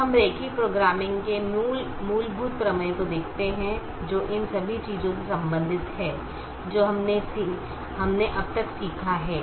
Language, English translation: Hindi, we look at the fundamental theorem of linear programming, which relates all the things that we have learnt till now